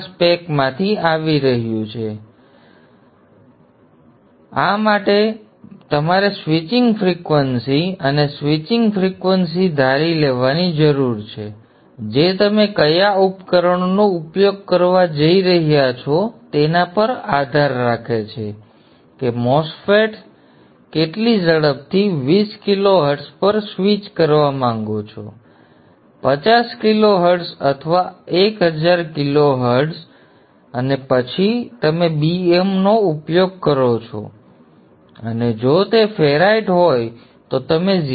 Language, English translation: Gujarati, Next, once you know P 0 value, you can evaluate the P 0 value, you can evaluate the area product AP and for this you you need to assume a switching frequency and switching frequency is a designer choice depending upon what devices that you are going to use how fast the MOSFETs are going to be you may want to switch at 20 kilohertzars or 100 kler